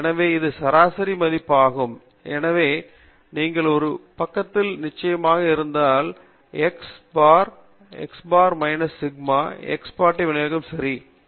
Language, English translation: Tamil, So suppose this is the mean value, so you have one standard deviation on either side, so x bar plus sigma and x bar minus sigma, where x bar is the mean of the distribution